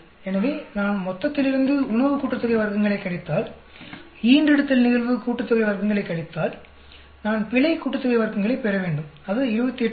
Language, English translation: Tamil, So, if I subtract food sum of squares, litter sum of squares from total I should get the error sum of squares, that is coming to 28